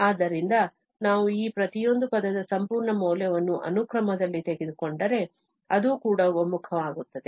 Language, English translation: Kannada, So, if we just take the absolute value of each of this term in the sequence, then that also converges